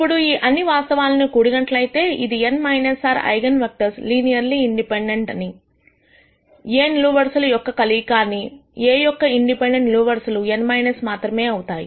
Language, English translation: Telugu, Now, when we put all of these facts together, which is the n minus r eigen vectors are linearly independent; they are combinations of columns of A; and the number of independent columns of A can be only n minus r